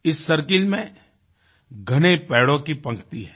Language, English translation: Hindi, This circle houses a row of dense trees